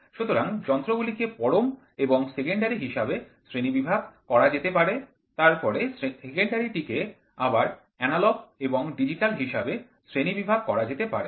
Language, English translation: Bengali, So, instruments can be classified into absolute and secondary, then, the secondary can be further classified in to analog and digital